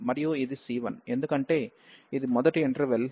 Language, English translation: Telugu, And this is c 1, because this is the first interval and this will be the f x f c 1